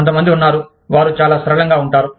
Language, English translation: Telugu, There are some people, who are very flexible